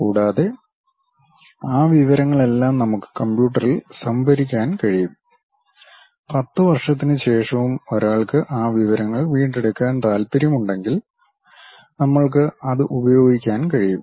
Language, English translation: Malayalam, And, all that information we can store it in the computer; even after 10 years if one would like to recover that information, we will be in a position to use that